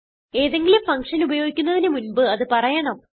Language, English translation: Malayalam, Before using any function, it must be defined